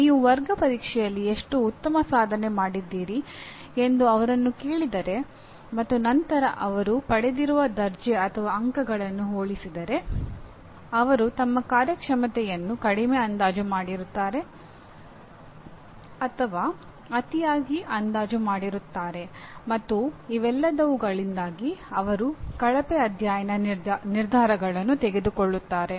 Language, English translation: Kannada, If you ask them how well you have performed in the class test and compare notes after they have actually obtained their grade or marks it is found that they either underestimate or overestimate their performance and because of all these they make poor study decisions